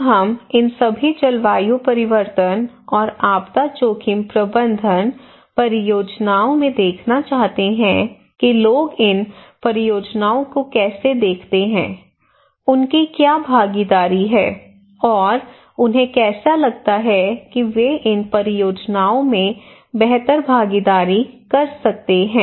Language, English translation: Hindi, Now we want to see that in these projects on all this climate change and disaster risk management projects, how people see these projects, what are the involvement they have and how they feel that they can better involve into these projects